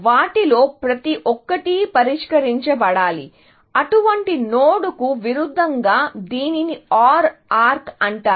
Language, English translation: Telugu, Every one of them has to be solved, as opposed to such a node; this is called an OR arc